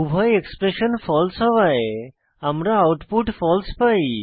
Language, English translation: Bengali, Since both the expressions are false, we get output as false